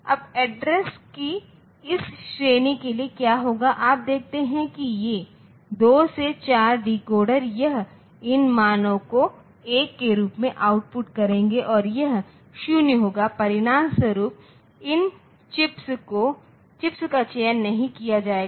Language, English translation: Hindi, Now, what will happen so for this range of addresses, you see that these 2 to 4 decoder it will output these value as 1 and this will be 0 as a result these chips will not be selected this lower chips